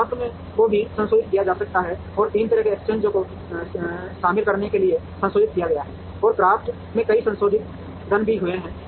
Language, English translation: Hindi, CRAFT also can be modified and has been modified to include three way exchanges, and several modifications to CRAFT have also happened